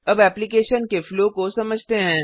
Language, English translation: Hindi, Now let us understand the flow of the application